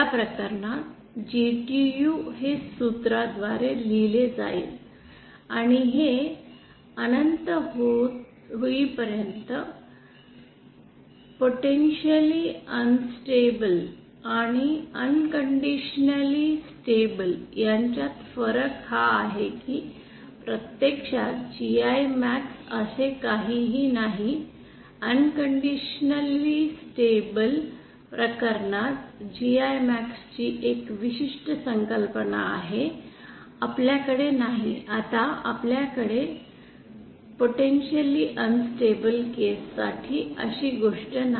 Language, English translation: Marathi, In the case in this case the GTU will continue to be written by this formula, and this can go all the way till infinity, that is the difference between potentially unstable and a unconditionally stable is that there is nothing called GI max actually, for the unconditionally stable case we have a certain concept of GI max for that we don’t have, now we don’t have such a thing for the potentially unstable case